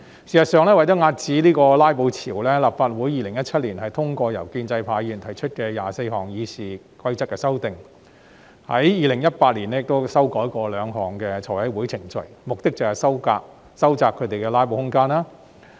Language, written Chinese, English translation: Cantonese, 事實上，為了遏止"拉布"潮，立法會在2017年通過由建制派議員提出的24項《議事規則》的修訂，在2018年亦曾修改兩項財務委員會程序，目的是收窄他們的"拉布"空間。, In fact in order to suppress the wave of filibuster the amendments to 24 items in RoP moved by pro - establishment Members were passed by the Legislative Council in 2017 and two items in the Finance Committee Procedure were also amended in 2018 for the purpose of narrowing down the room for filibustering